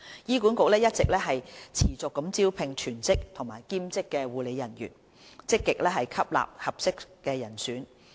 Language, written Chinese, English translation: Cantonese, 醫管局一直持續招聘全職和兼職護理人員，積極吸納合適人選。, HA has kept on recruiting full - time and part - time nursing staff and taking pro - active action to employ suitable candidates